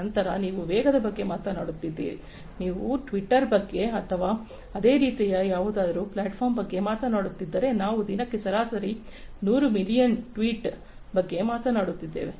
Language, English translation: Kannada, Then if you are talking about velocity, if you talk about twitter for example, or similar kind of other platforms we are talking about some 100s of millions of tweets, on average per day